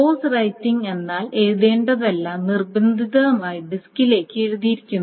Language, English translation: Malayalam, Force writing meaning everything that is written that needs to be written is forcefully written back to the disk